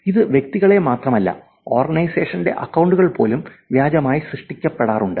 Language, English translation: Malayalam, And it is not just about individuals, even organization's accounts are actually created fake